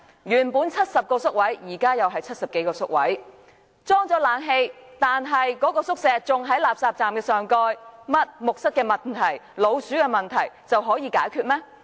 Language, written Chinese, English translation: Cantonese, 原本70個宿位，現在仍是70多個宿位，即使已安裝冷氣，但宿舍仍在垃圾站的上蓋，木蚤和老鼠的問題有解決嗎？, There were originally 70 places in the old shelter and the new shelter still provides 70 - odd places . Though the shelter will be retrofitted with air - conditioning it is still located above a refuse collection point . Will there be no more bedbugs and rats?